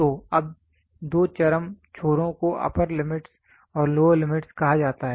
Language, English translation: Hindi, So, now, what are the two extreme ends are called as upper limits and lower limit